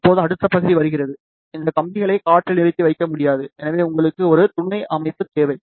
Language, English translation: Tamil, Now, comes the next part, you cannot have these wires suspended in the air, so you too need a supporting structure